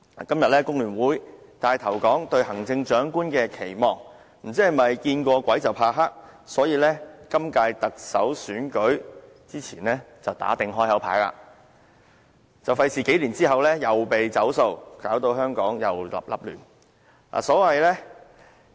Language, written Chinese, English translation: Cantonese, 今天工聯會帶頭說出"對行政長官的期望"，不知是否因為"見過鬼怕黑"而致，所以今屆特首選舉前打定"開口牌"，免得數年後又被"走數"，又搞到香港零亂不堪。, I do not know if it is the result of having the fear of the dark after seeing ghosts so they decide to make it all clear before the next Chief Executive Election with a view to preventing the new Chief Executive from not honouring the election promises and thereby causing chaos to Hong Kong